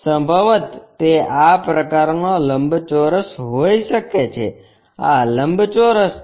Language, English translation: Gujarati, Possibly, it might be such kind of rectangle, this is the rectangle